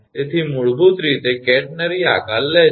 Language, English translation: Gujarati, So, basically takes a catenary shape right